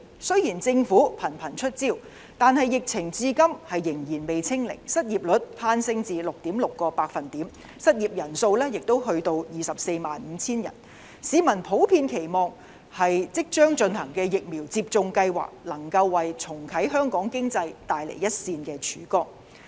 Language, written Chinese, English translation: Cantonese, 雖然政府頻頻出招，但疫情至今仍未"清零"，失業率更攀升至 6.6%， 失業人數亦達到 245,000 人，市民普遍期望即將進行的疫苗接種計劃能夠為重啟香港經濟帶來一線的曙光。, In spite of strenuous efforts by the Government to fight the pandemic we have not yet achieved zero infection . The unemployment rate has gone up to 6.6 % with 245 000 people being out of job . Members of the public generally hope that the forthcoming vaccination programmes can bring a ray of hope to Hong Kongs economy